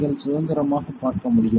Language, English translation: Tamil, You can see independent